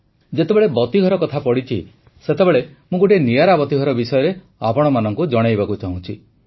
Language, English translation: Odia, By the way, as we are talking of light houses I would also like to tell you about a unique light house